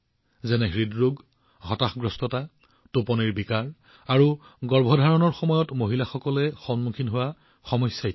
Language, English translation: Assamese, Like Heart Disease, Depression, Sleep Disorder and problems faced by women during pregnancy